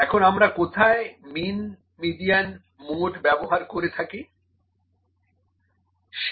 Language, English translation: Bengali, Now where do we use mean, median, mode